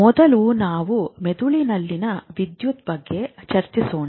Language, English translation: Kannada, Let me see if I want to talk about the electricity in the brain